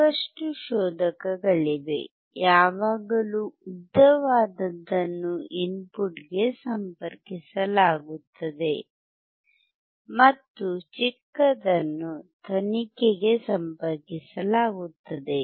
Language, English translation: Kannada, So, if you see there are lot of probes, always a longer one is connected to the input, and the shorter one is connected to the probe